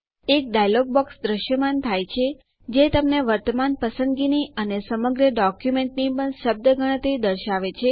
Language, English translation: Gujarati, A dialog box appears which shows you the word count of current selection and the whole document as well